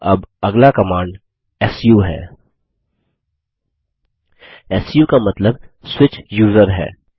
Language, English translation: Hindi, Now the next command is the su su stands for Switch User